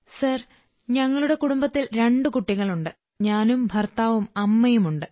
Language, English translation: Malayalam, Sir, there are two children in our family, I'm there, husband is there; my mother is there